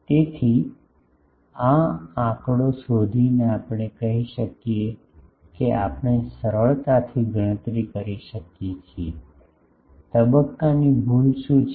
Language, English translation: Gujarati, So, looking into this figure we can say that we can easily calculate, what is the phase error